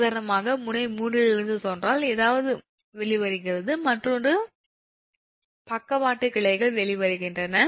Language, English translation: Tamil, for example, if it is, if it is, say, from node three, something is emerging out, say, say another, another lateral branches is emerging out